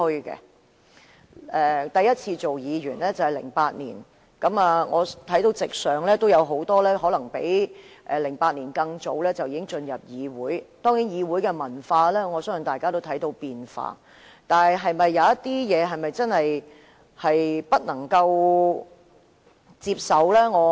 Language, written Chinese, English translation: Cantonese, 我第一次擔任議員是在2008年，我看到席上有很多可能比2008年更早進入議會的議員，我相信大家都看到議會文化正在轉變，但有些事情是否真的令人無法接受？, I first served as a Member in 2008 . I see that many Members present may have joined the Council earlier than 2008 . I believe all of us have noticed that the culture of the Council is changing